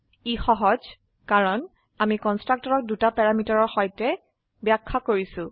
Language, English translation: Assamese, This is simply because we have defined a constructor with two parameters